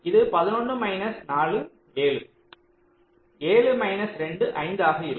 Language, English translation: Tamil, eleven minus three, it will be eight